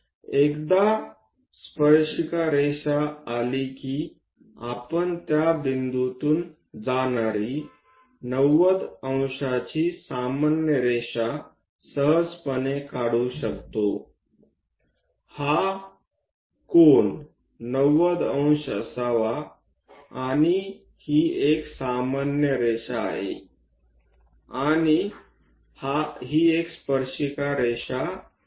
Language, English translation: Marathi, Once tangent line is there, we can easily construct a 90 degrees normal passing through that point; this angle supposed to be 90 degrees and this one is a normal line, and this one is a tangent line